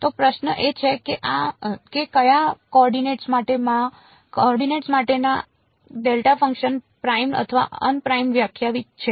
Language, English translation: Gujarati, So, the question is in for which coordinates is this delta function defined primed or un primed